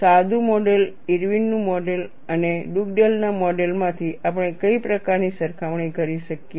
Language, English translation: Gujarati, What is the kind of comparisons that we can make from simplistic model, Irwin’s model and Dugdale’s model